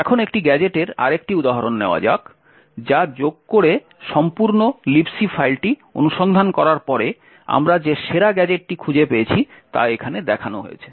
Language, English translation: Bengali, Now let us take another example of a gadget which does addition, after parsing the entire libc file the best gadget that we had found is as one showed over here